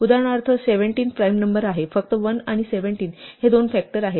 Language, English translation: Marathi, So, 17 for example, which is a prime number has only two factors 1 and 17